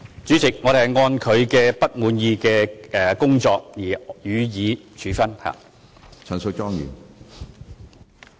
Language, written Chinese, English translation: Cantonese, 主席，我們會按照不滿意的表現予以處分。, President punishment will be given for unsatisfactory performance